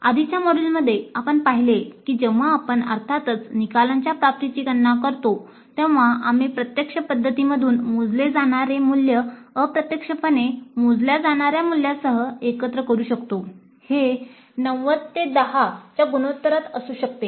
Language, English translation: Marathi, In the earlier module we have seen that when we compute the attainment of course outcomes, we can combine the value computed from direct approaches with the value computed indirectly, maybe in the ratio of 90 10